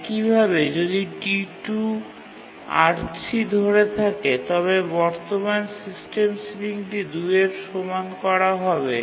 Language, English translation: Bengali, So, once T2 gets the resource R1, the current system ceiling will be already equal to one